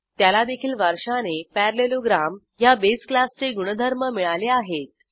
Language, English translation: Marathi, It inherits the properties of base class parallelogram